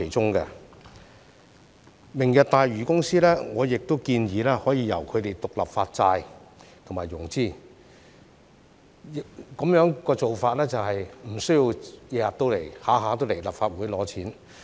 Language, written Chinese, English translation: Cantonese, 我亦建議明日大嶼公司可以獨立發債和融資，這便不需要經常來立法會拿錢。, I also suggested that this Lantau Tomorrow Company be allowed to issue bonds and secure financing independently to obviate the need to always come to the Legislative Council to seek funding